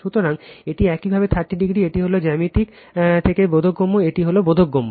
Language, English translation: Bengali, So, this is your 30 degree this is understandable from simple geometry, this is understandable